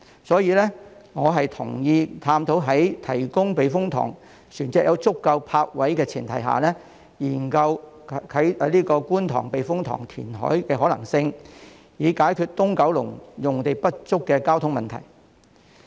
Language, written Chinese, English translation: Cantonese, 所以，我同意在避風塘船隻獲提供足夠泊位的前提下，研究觀塘避風塘填海的可能性，以解決九龍東用地不足的交通問題。, Therefore I agree that we should study the feasibility of the KTTS reclamation on the premise that adequate berthing spaces are provided for vessels at the typhoon shelter so as to address the traffic problems arising from the shortage of land in Kowloon East